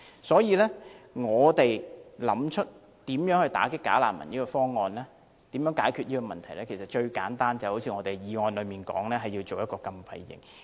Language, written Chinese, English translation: Cantonese, 所以，若要打擊"假難民"，解決問題的最簡單方法就是一如議案所提出，設立一個禁閉營。, Hence in order to combat bogus refugees the simplest way is to set up a closed camp as proposed in the motion